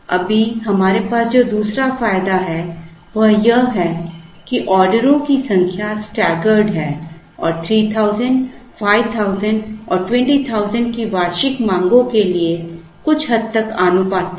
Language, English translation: Hindi, The other advantage that we have right now, here is that the number of orders are staggered and somewhat proportional to the annual demands of 3000, 5000 and 20,000